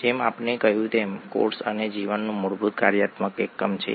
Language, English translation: Gujarati, ” As we said, cell is the fundamental functional unit of life